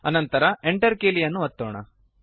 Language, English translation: Kannada, Then press the Enter key